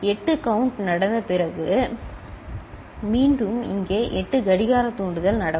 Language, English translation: Tamil, Once here again over here after a count 8 has taken place after 8 clock trigger has taken place